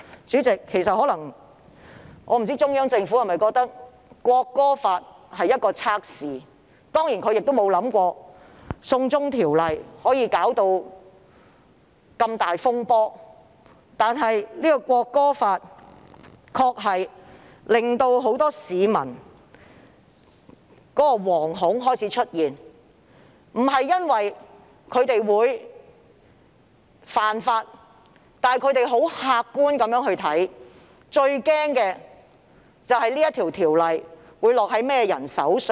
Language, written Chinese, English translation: Cantonese, 主席，我不知道中央政府把港區國安法視作一種測試，我也沒有想到"送中條例"會引發這麼大的風波，但港區國安法確實令很多市民感到惶恐，不是因為他們會犯法，而是他們很客觀地擔憂港區國安法會落在甚麼人手上？, President I do not know that the Central Government regards the Hong Kong national security law as a test and I have not imagined that the China extradition law will cause such a huge disturbance but the Hong Kong national security law really makes many people terrified . It is not because they will break the law but because they are objectively worried about who is going to deal with the Hong Kong national security law